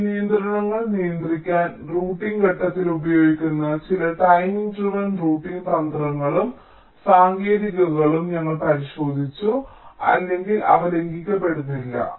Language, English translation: Malayalam, we have looked at some of the timing driven routing strategies and techniques that can be used in the routing phase to keep the timing constraints in check or they are not getting violated